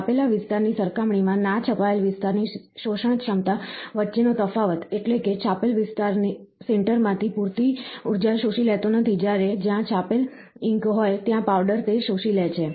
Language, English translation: Gujarati, The difference between the absorptivity of the unprinted area, compared to the printed area means, that the unprinted area do not absorb enough energy to sinter, whereas, the powder where the printed ink is there, it absorbs